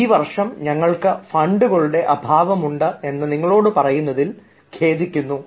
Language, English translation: Malayalam, we are sorry to tell you that we are lacking in funds this year